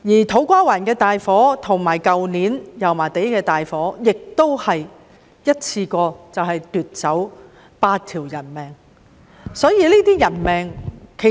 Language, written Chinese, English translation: Cantonese, 土瓜灣的大火和去年油麻地的大火也一次過奪走了8條人命。, The major fires broken out in To Kwa Wan and Yau Ma Tei last year also claimed eight deaths in one go